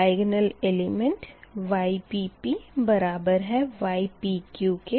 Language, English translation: Hindi, so ypp is equal to ypq